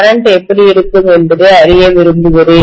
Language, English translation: Tamil, I want to know how the current is going to be, right